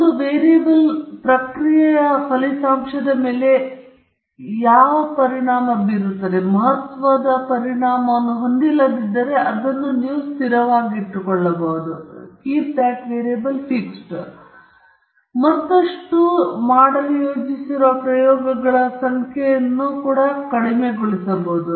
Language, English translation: Kannada, If a variable is not having an important or a significant effect on the outcome of the process, then it may be kept fixed, and you also reduce the number of experiments you are planning to do further